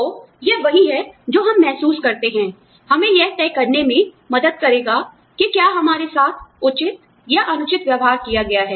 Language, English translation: Hindi, So, this is what we feel, will help us decide, whether we have been treated, fairly or unfairly